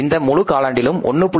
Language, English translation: Tamil, For this entire quarter it is going to be 1